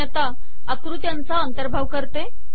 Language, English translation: Marathi, I will now include figures